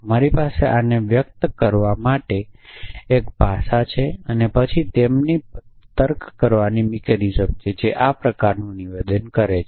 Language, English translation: Gujarati, So, I have a language for expressing this essentially and then they have mechanism of reasoning which such statement essentially